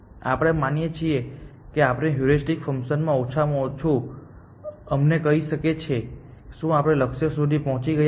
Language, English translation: Gujarati, We assume that our heuristic function can at least tell us if we have reached the goal